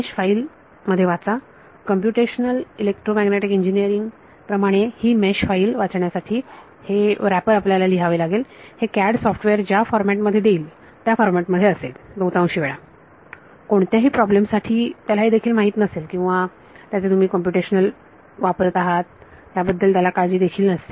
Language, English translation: Marathi, Read in the mesh file; as a computational EM engineering you have to write this wrapper to read this mesh file because, it will be in whatever format CAD software did CAD software is general CAD software for any problem they may not even know or care that you are using its computational here